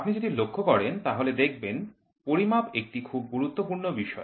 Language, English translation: Bengali, If you see measurements is a very important topic